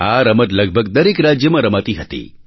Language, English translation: Gujarati, It used to be played in almost every state